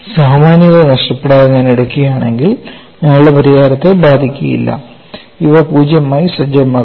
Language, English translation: Malayalam, And our solution will not be affected if I take without losing generality, these be set to zero